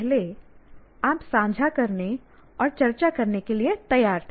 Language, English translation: Hindi, Now earlier you are willing to share and willing to discuss